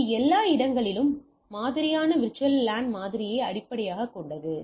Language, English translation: Tamil, So, it is a based on thing VLAN everywhere model